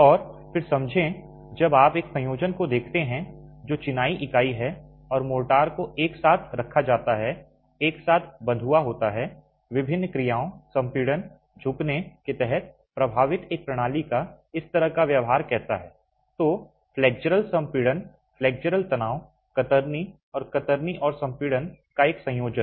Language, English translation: Hindi, So, we will be examining the specific aspects, engineering properties of the constituents of masonry and then understand when you look at an assemblage which is the masonry unit and mortar put together bonded together how is the behavior of this sort of a system affected under different actions compression bending so flexual compression flexual tension shear and a combination of shear and compression